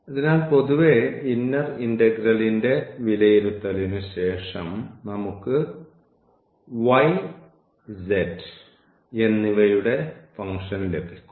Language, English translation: Malayalam, So, in general the after evaluation of the inner integral we will get a function of y and z